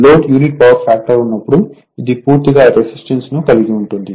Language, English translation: Telugu, When load unity power factor, it is purely resistive right